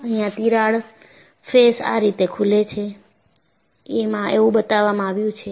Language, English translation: Gujarati, And, what is shown here is the crack faces open up like this